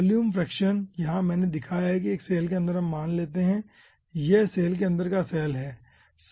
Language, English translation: Hindi, okay, volume fraction: here i have shown that inside a cell lets say this is the cell inside a cell how much portion of the cell is occupied